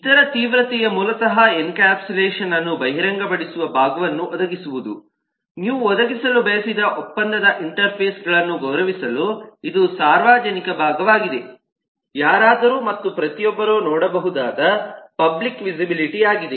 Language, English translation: Kannada, the other extreme is basically to provide the exposing part of the encapsulation, to honour that contractual interfaces that you wanted to provide, which is a public parts, the public visibility, which anybody and everybody can have a look at